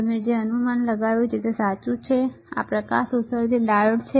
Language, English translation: Gujarati, It is right you have guessed is correctly, what is this light emitting diode